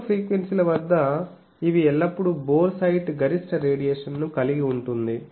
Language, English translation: Telugu, At lower frequencies they are always having boresight maximum radiation